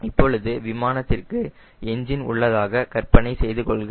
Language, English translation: Tamil, right now, imagine aircraft has engine